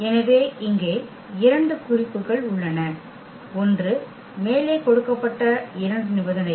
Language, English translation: Tamil, So, here 2 remarks, one the 2 conditions given above